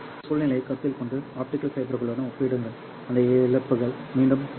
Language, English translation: Tamil, Consider this scenario and compare it with optical fibers whose losses are around 0